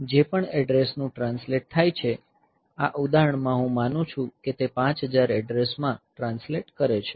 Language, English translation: Gujarati, So, whatever addresses translates to, in this example I assume that it translates to address 5000